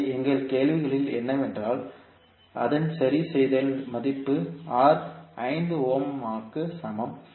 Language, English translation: Tamil, So what we had in our question is its fix value as R equal to 5ohm